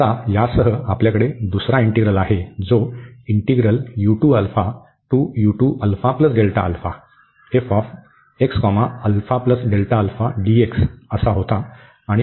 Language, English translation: Marathi, So, now we have these three integrals